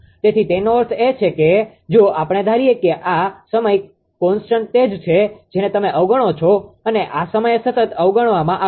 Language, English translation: Gujarati, So, that means that means if you; that means, if we assume that this time constant is your what you call neglected this time constant is neglected